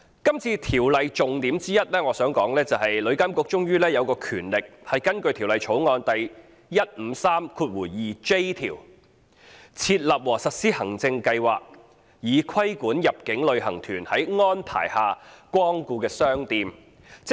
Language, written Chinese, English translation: Cantonese, 《條例草案》的重點之一，是旅監局終於有權根據《條例草案》第 1532j 條，"設立和實施行政計劃，以規管入境旅行團在安排下光顧的商店"。, A key element of the Bill is that TIA will ultimately have the power to establish and implement an administrative scheme for regulating shops that inbound tour groups are arranged to patronize under clause 1532j of the Bill